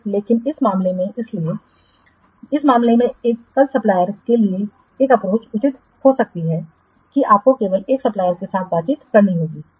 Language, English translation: Hindi, So, but in this cases, so in this cases an approach to a single supplier may be justified that is you have to negotiate with only one supplier